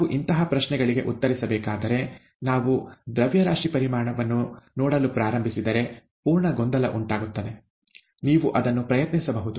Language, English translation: Kannada, If we need to answer such questions, if we start looking at mass volume, there is going to be total confusion, okay you can try that